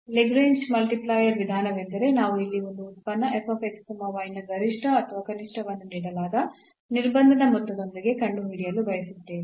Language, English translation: Kannada, Conclusion now: so, the method of Lagrange multiplier is that we want to find the maximum or minimum of a function here f x y with the sum given constraint